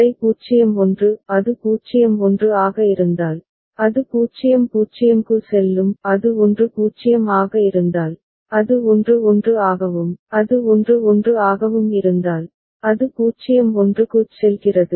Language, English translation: Tamil, Then 0 1; if it is 0 1, then it goes to 0 0; if it is 1 0, it goes to 1 1 and if it is 1 1, it goes to 0 1